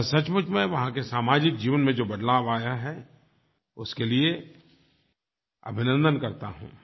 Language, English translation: Hindi, I truly welcome the change brought in the social life there